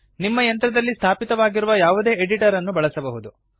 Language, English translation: Kannada, You can use any editor that is installed on your machine